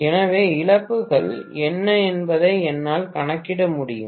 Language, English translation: Tamil, so I should be able to calculate what are the loses